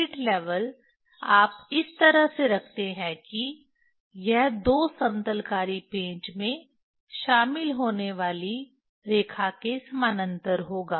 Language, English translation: Hindi, Spirit level you put in such a way that it will be parallel to the line joining two leveling screws